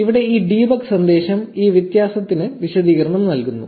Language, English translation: Malayalam, This debug message here gives the explanation for this difference